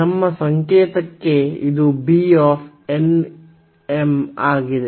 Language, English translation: Kannada, So, per our notation this is beta n, m